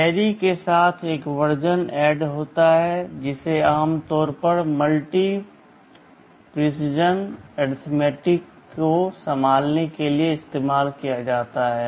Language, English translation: Hindi, There is a version add with carry that is normally used to handle multi precision arithmetic